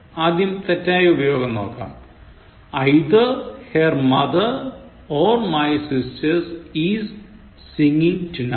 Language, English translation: Malayalam, The wrong usage is given first: Either her mother or my sisters is singing tonight